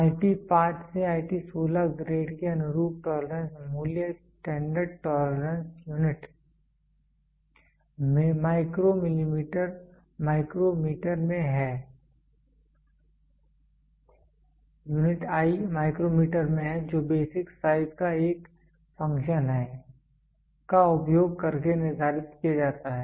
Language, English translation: Hindi, The tolerance value corresponding to the grade IT 5 to IT 16 are determined using a standard tolerance unit I is in micrometer which is a function of the basic size